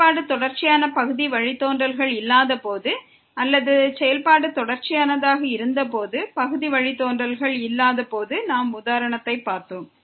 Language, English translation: Tamil, We have seen the example when the function was not continuous partial derivatives exist or the function was continuous, partial derivative do not exist